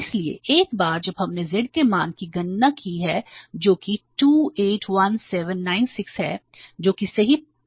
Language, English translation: Hindi, So once we have calculated the value of Z here that is 28,000696 that seems to be correct